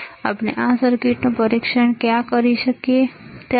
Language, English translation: Gujarati, So, where we can test this circuit, right